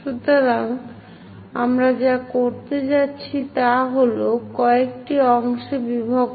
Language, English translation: Bengali, So, what we are going to do is divide into different number of parts